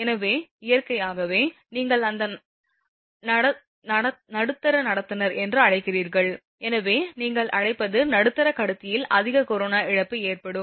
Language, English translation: Tamil, So, naturally your, what you call that middle conductor your what you call hence there will be more corona loss in the middle conductor